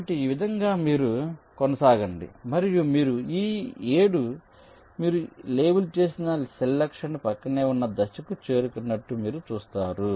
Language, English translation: Telugu, so in this way you go on and you see that you have reached a stage where this seven, the cell you have labeled, is adjacent to the target